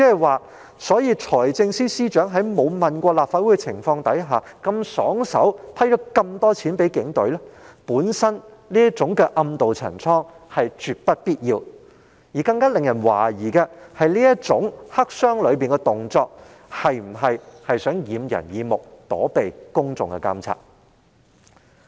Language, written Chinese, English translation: Cantonese, 換言之，財政司司長在未經諮詢立法會的情況下如此爽快批核大量款項予警隊，本身已是絕不必要的暗渡陳倉之舉，而更加惹人懷疑的是這種黑箱作業的行為，是否有意掩人耳目，躲避公眾的監察？, In other words it is an absolutely unnecessary and evasive move for the Financial Secretary to endorse the allocation of a huge amount of funding to the Police Force so readily without consulting the Legislative Council . It is even more suspicious that by resorting to black box operation like this is this the Governments intention to cover up what it has done and evade public monitoring?